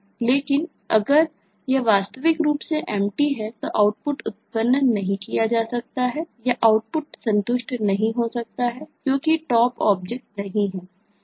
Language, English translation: Hindi, naturally the output cannot be generated or the output cannot be satisfied because there no top object